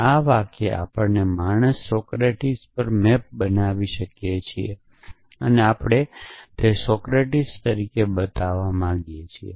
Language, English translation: Gujarati, This sentence we can map to man Socratic and we want to show that mortal Socratic